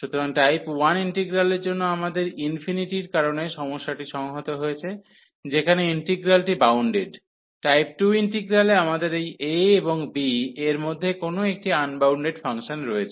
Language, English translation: Bengali, So, for integral of type 1 we have the problem because of the infinity where the integrand is bounded, in type 2 integral we have a unbounded function somewhere between this a and b